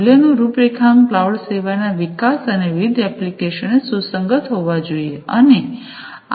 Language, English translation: Gujarati, So, value configuration with respect to the development of cloud services, and the different applications